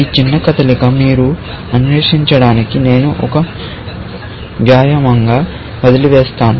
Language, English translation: Telugu, This small move, I will leave as an exercise for you to explore